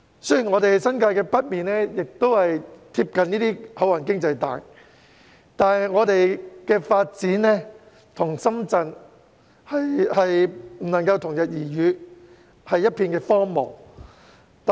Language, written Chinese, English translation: Cantonese, 雖然我們的新界北面貼近這些"口岸經濟帶"，但發展卻不能與深圳同日而語，只是一片荒蕪。, Yet despite the close proximity to the port economic belt our northern New Territories remains barren and can hardly catch up with Shenzhens development